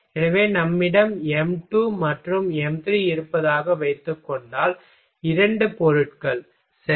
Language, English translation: Tamil, So, if suppose that we have m2 and m3, two materials ok